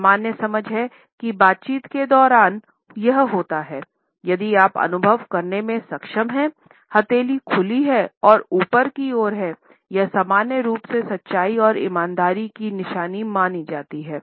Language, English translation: Hindi, The normal understanding is that if during the dialogue, you are able to perceive one palm as being open as well as both palms as being open and tending towards upward, it is normally considered to be a sign of truthfulness and honesty